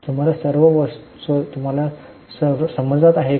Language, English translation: Marathi, Are you getting all the items